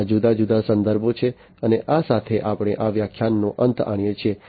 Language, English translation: Gujarati, So, these are different references and with this we come to an end of this lecture